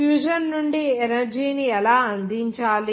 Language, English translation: Telugu, How to provide energy from fusion